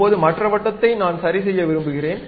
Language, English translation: Tamil, Now, the other circle I would like to adjust